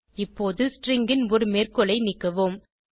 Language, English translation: Tamil, Lets remove one of the quotes of the string